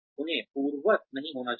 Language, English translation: Hindi, They should not be undoable